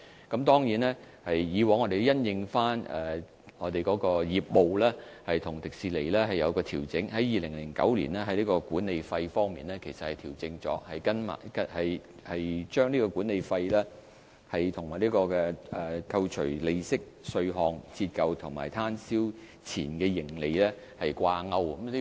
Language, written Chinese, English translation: Cantonese, 我們過去亦曾經因應實際業務情況與迪士尼討論作出調整，正如我曾經多次解釋，管理費於2009年其實已經作出調整，把管理費與扣除利息、稅項、折舊和攤銷前的盈利掛鈎。, In the past we also discussed with TWDC to make adjustments according to actual business performance . As I have repeatedly explained adjustments were made in 2009 to peg the management fee to earnings before interest tax depreciation and amortization EBITDA